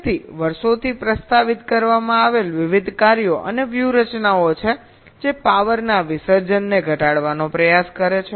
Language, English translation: Gujarati, so there have been various works and strategies that have been proposed over the years which try to reduce the power dissipation